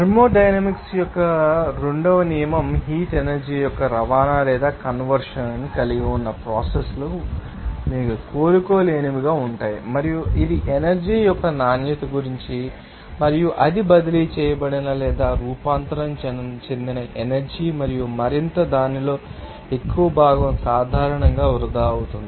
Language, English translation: Telugu, And also the second law of thermodynamics says that processes that involve the transport or conversion of the heat energy that will be you know, irreversible and it is about the quality of the energy and it states that that energy which is transferred or transformed and more and more of it is generally being wasted